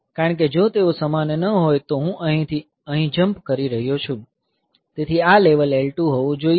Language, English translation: Gujarati, Because if they are not same; I am jumping from here to here, so this level should be L 2